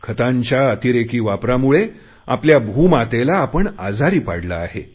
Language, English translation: Marathi, Excessive use of fertilisers has made our Mother Earth unwell